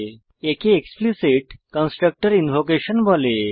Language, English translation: Bengali, This is called explicit constructor invocation